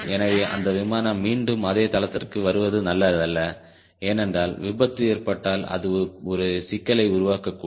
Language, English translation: Tamil, so it is not advisable that that airplane lands back to the same base, because if there is accident it may create a problem